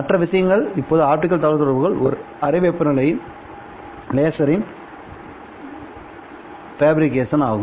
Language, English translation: Tamil, The other thing that made possible optical communications was the fabrication of a room temperature laser